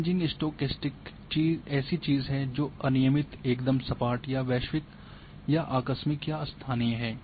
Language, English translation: Hindi, Kriging stochastic something that is random exact smooth or abrupt global or local